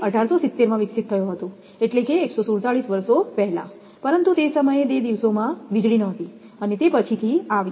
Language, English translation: Gujarati, It was developed in 1870, that is, more than the 147 years ago, but at that time anyway those days there was no electricity in those days, it came later